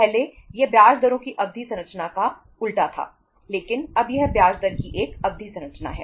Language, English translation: Hindi, Earlier it was the reverse of the term structure of interest rates but now it is a term structure of interest rate